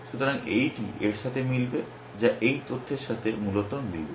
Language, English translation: Bengali, So, this will match with this, which with this data essentially